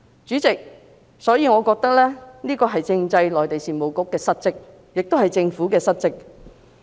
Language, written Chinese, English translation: Cantonese, 主席，我覺得這是政制及內地事務局的失職，亦都是政府的失職。, Chairman I think this is a dereliction of duty on the part of the Bureau and of the Government